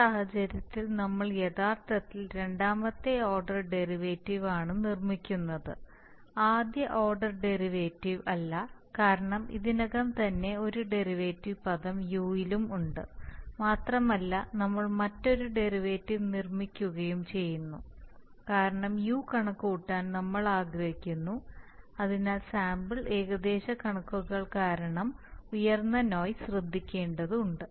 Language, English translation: Malayalam, There are some disadvantages of this of the incremental realization because of the sample realization and because we, in this case we are actually making a second order derivative not a first order derivative because there is also already a derivative term in u and we are making another derivative because we want to compute Δu, so because of sampling approximations a high amount of noise may be introduced there, that needs to be taken care of